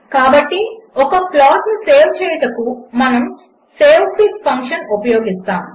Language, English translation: Telugu, So saving the plot, we will use savefig() function